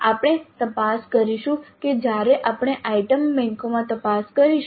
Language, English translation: Gujarati, We'll examine that when we look into the item banks